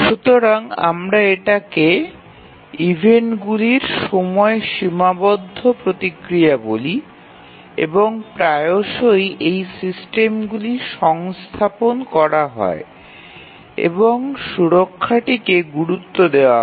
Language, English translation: Bengali, So, that we call as the time constrained response to the events and often these systems are embed and safety critical